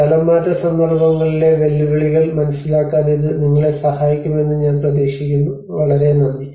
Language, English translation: Malayalam, I hope this will help you in understanding the challenges in the relocation contexts